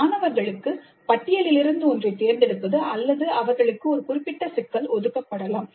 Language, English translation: Tamil, Students may have a choice in selecting one from the list or they may be assigned a specific problem